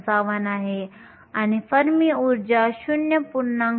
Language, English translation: Marathi, 55 and the fermi energy is located at 0